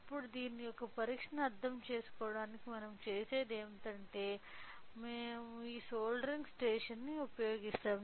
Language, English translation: Telugu, Now, in order to understand the testing of this one what we do is that we use this soldering station